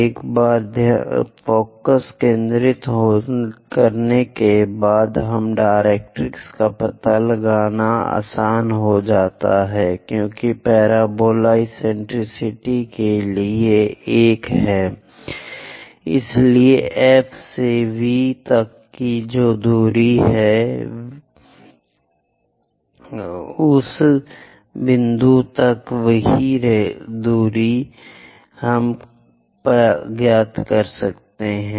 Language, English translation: Hindi, Once focus is now directrix is easy to find out; because for parabola eccentricity is one, so from F to V whatever the distance, from V to that point also same distance we will be going to have